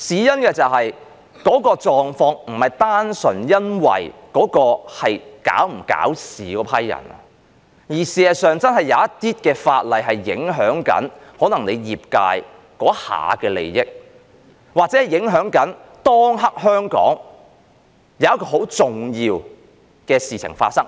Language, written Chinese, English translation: Cantonese, 原因是那個狀況不是單純因為那是否搞事的一批人，而事實上真的有些法例會影響某些業界當下的利益，又或影響香港當下很重要的事情。, Why? . Because this was not the simple situation of a group of Members trying to stir troubles but some legislation if passed would truly have an impact on the interests of certain industries or on something important to Hong Kong at that time